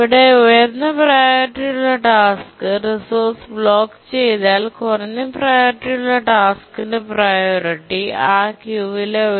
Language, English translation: Malayalam, Here once the high priority task blocks for the resource, the low priority task's priority gets raised to the highest priority task in the queue